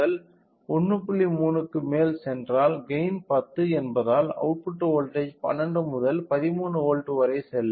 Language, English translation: Tamil, 3 then the output voltage it is since a gain is obtained it will go to 12 to 13 volts